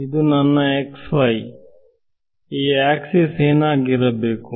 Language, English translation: Kannada, So, this is my x y what should I what should this axis be